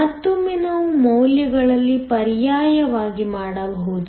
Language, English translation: Kannada, Once again, we can substitute in the values